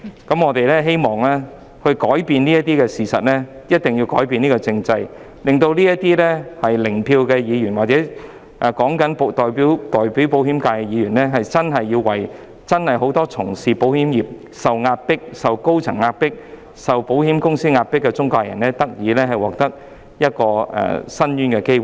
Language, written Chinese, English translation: Cantonese, 因此，如果我們想改變現實，便必須先改革政制，令這些 "0 票"議員或代表保險業界的議員，真正為受到保險公司高層壓迫的保險中介人及保險從業員發聲，為他們爭取申訴的機會。, For that reason if we want to change the reality we must reform the political system first so as to make these Members with zero vote or the Members representing the insurance sector speak out for insurance intermediaries and insurance workers who are oppressed by senior executives of insurance companies and fight for their chances to vent their grievances